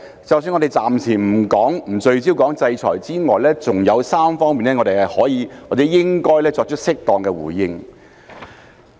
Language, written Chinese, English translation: Cantonese, 即使我們暫時不聚焦討論制裁，還有3方面我們可以或應該作出適當的回應。, Even if we do not focus our discussion on the sanctions for the time being there are still three other aspects in which we can or should make appropriate responses